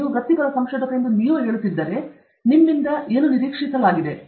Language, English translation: Kannada, See, if you are saying that… if you are saying that you are professional researcher what is expected of you